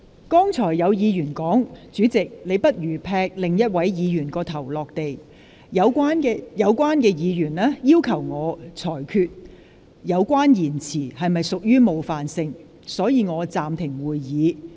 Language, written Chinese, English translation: Cantonese, 剛才有議員說，"主席，你不如劈另一位議員的頭落地"。有關議員要求我裁決有關言詞是否屬冒犯性，所以我暫停會議。, Given that a Member said earlier that President you had better chop off that Members head I was asked to rule on whether this expression was offensive or not